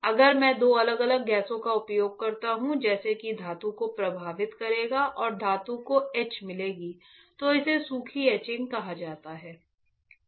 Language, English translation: Hindi, If I use two different gases such that will affect the metal and the metal will get etch is called dry etching right